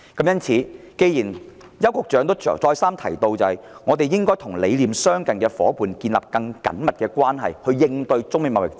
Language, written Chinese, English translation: Cantonese, 邱局長再三強調，香港應與理念相近的夥伴建立更緊密的關係，以應對中美貿易戰。, Secretary Edward YAU has repeatedly stressed that in order to deal with the trade war between China and the United States Hong Kong should establish stronger bilateral ties with like - minded trading partners